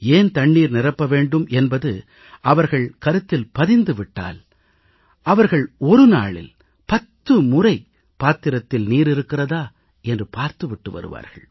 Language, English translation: Tamil, Once they understand why they should fill the pots with water they would go and inspect 10 times in a day to ensure there is water in the tray